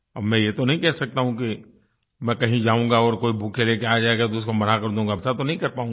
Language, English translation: Hindi, Now, I cannot say that if I go somewhere and somebody brings a bouquet I will refuse it